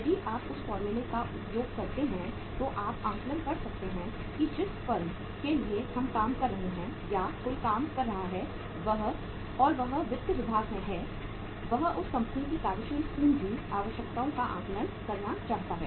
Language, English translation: Hindi, If you use that formula you can assess that for a firm for which we are working or anybody is working and he is in the finance department he want to assess the working capital requirements of that company